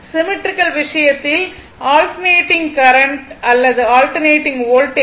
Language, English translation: Tamil, And in case of symmetrical, in case of symmetrical, alternating current or voltage right